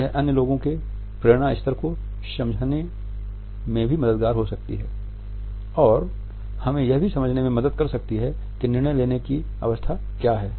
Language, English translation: Hindi, It can be helpful in learning the motivation level of other people and it can also help us to understand what is the stage of decision making